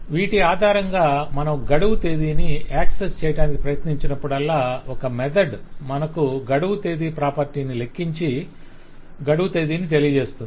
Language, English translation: Telugu, based on that, whenever I try to access due date, there will be some method which will compute the due date property and give me that date